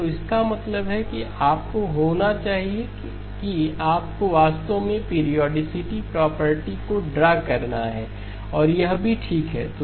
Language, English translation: Hindi, So which means that you have to be you have to actually draw the periodicity property also shows okay